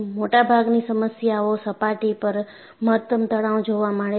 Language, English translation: Gujarati, In most of the problems, maximum stress occurs at the surface